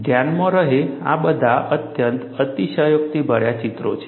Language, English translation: Gujarati, Mind you, these are all highly exaggerated pictures